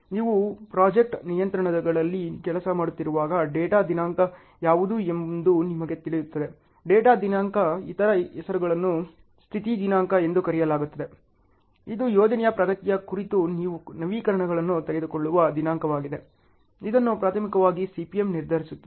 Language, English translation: Kannada, When you are working on project controls you will know what is a data date; data date other name is called status date, it is a date on which you take updates on the project progress ok, that is primarily determined by the CPM